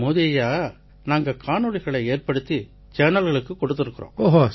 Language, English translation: Tamil, We sir, Modi sir, we have shot our videos, and sent them to the TV channels